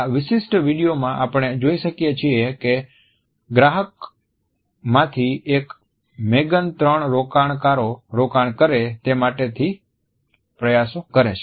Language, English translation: Gujarati, In this particular clip we find that one of the clients Megan has to pitch three investors